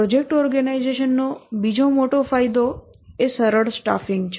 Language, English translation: Gujarati, Another big advantage of the project organization is ease of staffing